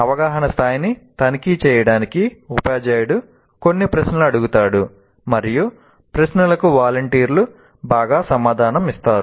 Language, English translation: Telugu, Teacher asks some questions to check understanding and the questions are answered well by the volunteers